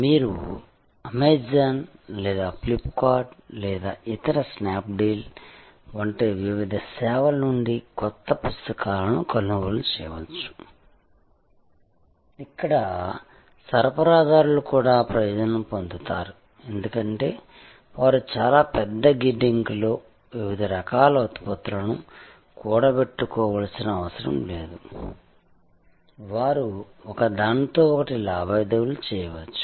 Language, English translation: Telugu, You can buy now books from various services like Amazon or Flipkart or other Snap Deal, where the suppliers also benefits because, they do not have to accumulate a variety of products in a very large warehouse, they can transact with each other